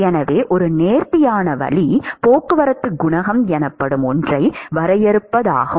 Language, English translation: Tamil, So, elegant way to do would be to define something called a transport coefficient